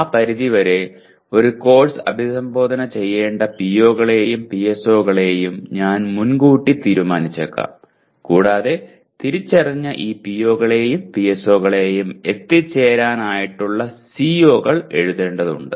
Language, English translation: Malayalam, So to that extent we may apriori determine the POs and PSOs a course should address and the COs will have to be written to meet this identified the POs and PSOs